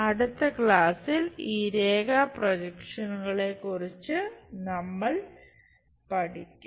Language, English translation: Malayalam, So, thank you very much in the next class we will learn more about these line projections